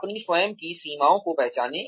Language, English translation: Hindi, Recognize your own limitations